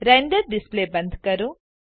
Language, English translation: Gujarati, Close the Render Display